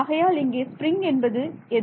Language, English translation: Tamil, So, what is the spring and what is the mass